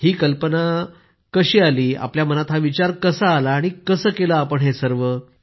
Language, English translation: Marathi, What was this idea…how did the thought come to your mind and how did you manage it